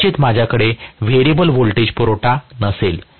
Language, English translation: Marathi, May be I do not have a variable voltage supply